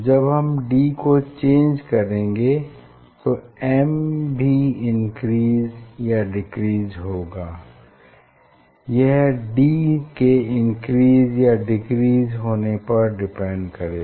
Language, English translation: Hindi, when d will change the n will increase or decrease depending on d is increasing or decreasing